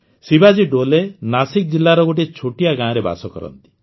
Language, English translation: Odia, Shivaji Dole hails from a small village in Nashik district